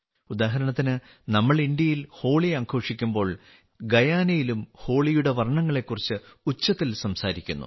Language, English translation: Malayalam, For example, as we celebrate Holi in India, in Guyana also the colors of Holi come alive with zest